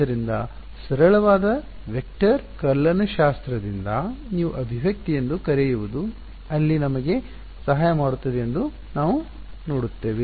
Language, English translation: Kannada, So, we will see there is a very simple what you called expression from vector calculus that that will help us there